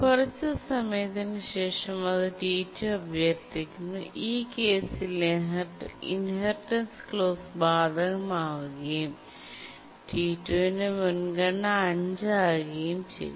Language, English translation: Malayalam, And after some time it requests T2 and in this case the inheritance clause will apply and the priority of T2 will become 5